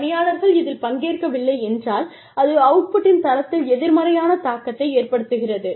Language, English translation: Tamil, If people are absent, then it has a negative impact, on the quality of the output